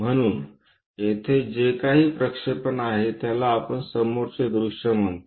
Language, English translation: Marathi, So, this one whatever the projection one we call as front view here